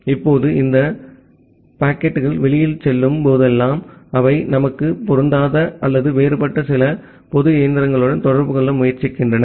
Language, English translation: Tamil, Now, whenever these packets are going outside and they are trying to communicate to some public machine same or different that is immaterial to us